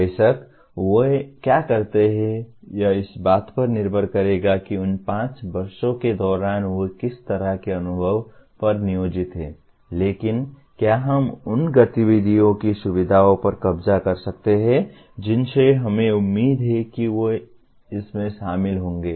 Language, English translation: Hindi, Of course, what they do will depend on what kind of experiences, where they are employed during those 5 years, but can we capture the features of the type of activities we expect them to be involved